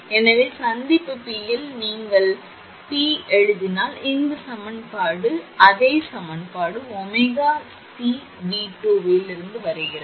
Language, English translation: Tamil, So, at junction P, if you write at junction P, this equation it will be this is coming from that same equation omega C V 2